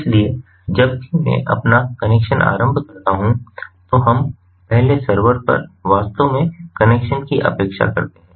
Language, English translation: Hindi, so whenever i initiate my connection, first you look, the server is actually expecting connections